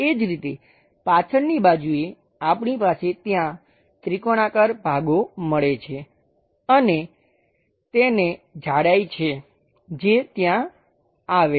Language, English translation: Gujarati, Similarly, on the back side we have that triangular portions supposed to meet there and that has a thickness which comes there